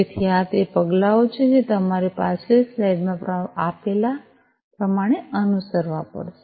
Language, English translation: Gujarati, So, these are the steps that you will have to follow as given in the previous slide